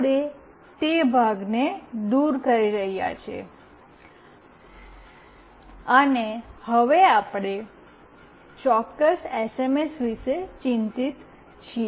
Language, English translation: Gujarati, We are removing that part, and we are now concerned about the exact SMS